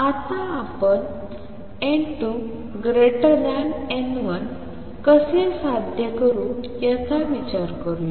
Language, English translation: Marathi, Right now, let us consider how do we achieve n 2 greater than n 1